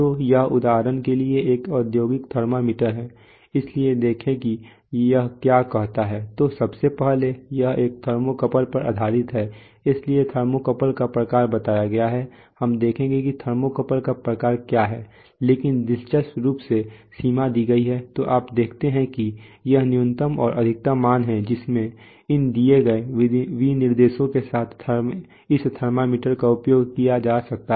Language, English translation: Hindi, So this is for example an industrial thermometer, so see what it says, what all are stated, so first of all it is it is based on a thermocouple, therefore the type of the thermocouple is stated we will see what the type of thermocouple is, but interestingly the range is given, so you see this is that, the minimum and the maximum values in which this thermometer can be used with these given specifications